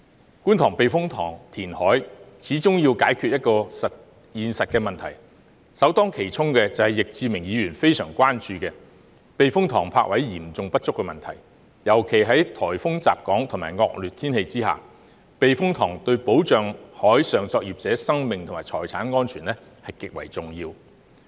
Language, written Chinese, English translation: Cantonese, 在觀塘避風塘填海，始終要解決現實的問題，首當其衝的正是易志明議員非常關注的，即避風塘泊位嚴重不足的問題，尤其是在颱風襲港和惡劣天氣下，避風塘對保障海上作業者的生命和財產安全，極為重要。, Inevitably to conduct reclamation in the Kwun Tong Typhoon Shelter it is necessary to resolve the practical problems . The one to be addressed first and foremost is precisely what Mr Frankie YICK is gravely concerned about which is the acute shortage of berthing spaces at typhoon shelters . Especially during typhoons and inclement weather typhoon shelters are vitally important in protecting the lives and property of marine workers